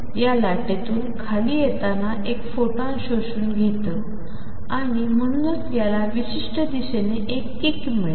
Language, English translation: Marathi, It may absorb a photon from wave coming down and therefore, it gets a kick in certain direction